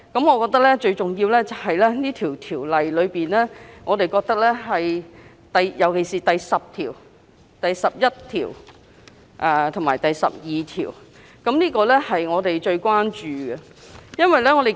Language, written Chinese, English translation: Cantonese, 我認為，最重要的原因出於《條例草案》尤其是第10、11及12條——我們最關注的條文。, I think the most important reason is particularly clauses 10 11 and 12 of the Bill―these are the clauses of our utmost concern